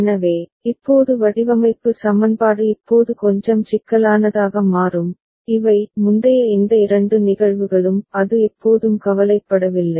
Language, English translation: Tamil, So, now the design equation becomes little bit more complex in the sense now, these earlier these two cases; it was always don’t care